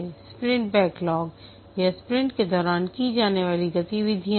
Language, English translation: Hindi, The sprint backlog, this is the activities to be done during the sprint